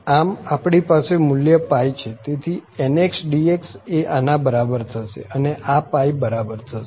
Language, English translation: Gujarati, So, here we have the value pi so cos square nx dx is equal to this one and is equal to pi